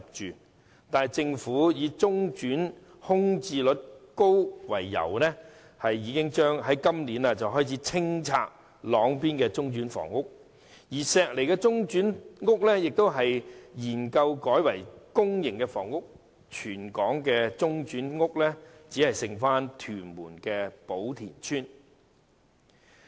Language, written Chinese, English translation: Cantonese, 然而，政府以中轉單位空置率高為由，於今年開始清拆朗邊的中轉屋邨，並正研究將石籬的中轉房屋改建為公營房屋，於是全港的中轉房屋便只餘下屯門的寶田邨。, However the Government has started to clear the interim housing estate in Long Bin for reason of high vacancy rate and is currently examining the redevelopment of the interim housing in Shek Lei into public housing . Po Tin Estate in Tuen Mun will then become the only remaining interim housing in Hong Kong